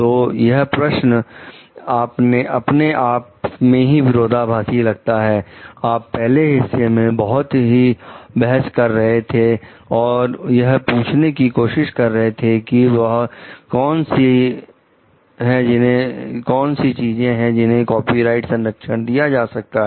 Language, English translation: Hindi, So, this question itself means sound like contradictory like, you in the first part maybe we are arguing we trying to ask like what are the some creations which can be given a copyright protection